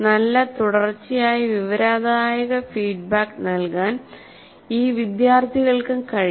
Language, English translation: Malayalam, The students themselves should be able to give themselves a good continuous informative feedback